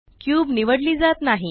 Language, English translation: Marathi, The cube cannot be selected